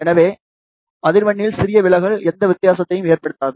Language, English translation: Tamil, So, small deviation in the frequency will not make any difference